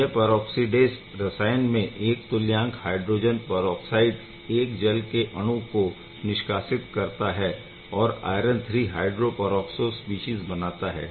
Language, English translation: Hindi, So, this is the peroxidase chemistry 1 equivalent of hydrogen peroxide gives rise to of course, displaces one water molecule and gives rise to the iron III hydroperoxo species